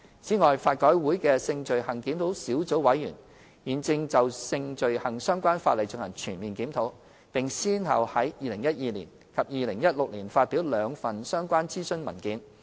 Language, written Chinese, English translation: Cantonese, 此外，法改會的性罪行檢討小組委員會現正就性罪行相關法例進行全面檢討，並先後於2012年及2016年發表兩份相關諮詢文件。, Besides the Review of Sexual Offences Sub - committee under LRC is conducting a thorough review of the laws concerning sexual offences and published two related consultation papers in 2012 and 2016 respectively